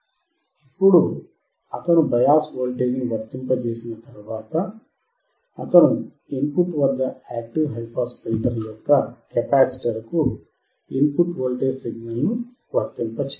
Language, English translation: Telugu, Now once he has applied the biased voltage, he has to apply the input voltage input signal to the capacitor of the active high pass filter